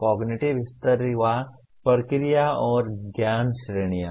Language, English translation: Hindi, Cognitive levels or processes and knowledge categories